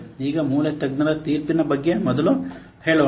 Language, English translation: Kannada, Let's first see about the basic expert judgment